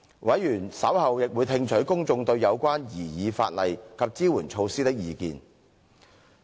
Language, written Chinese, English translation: Cantonese, 委員稍後亦會聽取公眾對有關擬議法例及支援措施的意見。, Members would receive public views on the proposed legislation and support measures